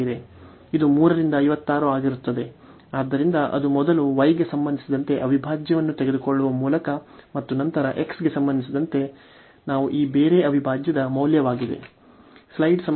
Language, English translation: Kannada, So, it will be 3 by 56, so that is the value of this double integral by taking the integral first with respect to y and then with respect to x what we can do the other way round as well